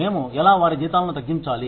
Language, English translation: Telugu, How do we deduct their salaries